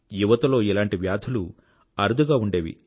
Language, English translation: Telugu, Such diseases were very rare in young people